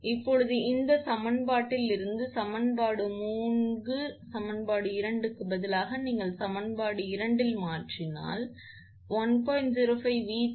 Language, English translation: Tamil, Now, again substituting this value of V 2 from equation 3 from this equation in equation two then you substitute in equation two then you will get 1